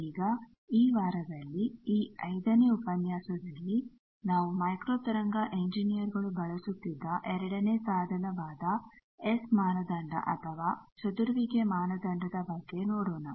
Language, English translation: Kannada, Now, in this week, in this 5 lectures will try to see the second tool that microwave engineers use which is called S parameter or scattering parameter